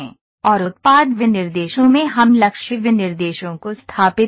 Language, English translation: Hindi, And in product specifications we establish target specifications